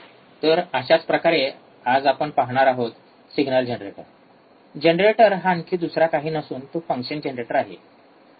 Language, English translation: Marathi, Same way we will see today, there is a signal generator signal, generator is nothing but a function generator